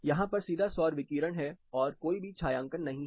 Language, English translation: Hindi, There is direct solar radiation and it does not have any shading